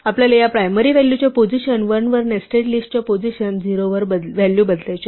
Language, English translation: Marathi, We want to change the value at the position 0 of the nested list at position 1 of this initial value